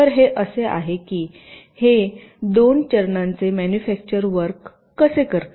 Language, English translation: Marathi, so this is how this two step manufacturing works